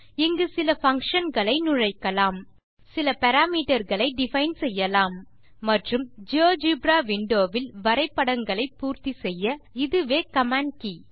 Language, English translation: Tamil, Here you can introduce some functions, define some parameters and this is the command key in which you can complete drawings in the geogebra window here